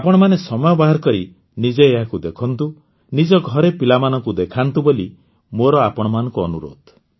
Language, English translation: Odia, I urge you to take time out to watch it yourself and do show it to the children of the house